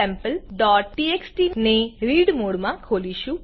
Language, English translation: Gujarati, Here, we open the file Sample.txt in read mode